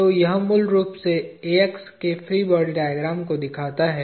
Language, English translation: Hindi, So, this basically essentially shows the free body diagram of AX